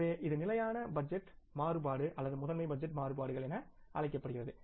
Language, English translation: Tamil, So this is known as the static budget variance or the master budget variances